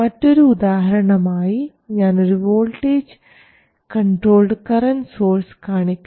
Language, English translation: Malayalam, Or alternatively, I could have a voltage controlled current source